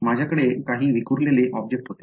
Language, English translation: Marathi, I had some scattering object